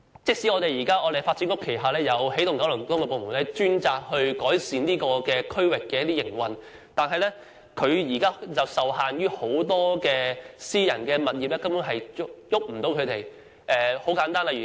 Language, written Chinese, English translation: Cantonese, 即使發展局轄下有起動九龍東辦事處專責改善該區的營運，但受限於很多私人物業，根本無法改變。, Even though he Energizing Kowloon East Office under the Development Bureau is dedicated to improving the operation of the district not much can be changed due to the restrictions of many private residential estates